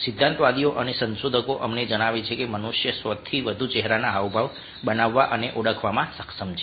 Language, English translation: Gujarati, tourists and researchers tell us that ah, human beings are capable of making and identifying more than a thousand facial expressions